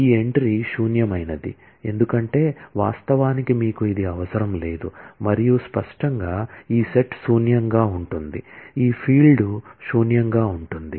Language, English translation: Telugu, This entry is null, because actually you do not have that in the prerequisite set and; obviously, this set will be null, this field will be null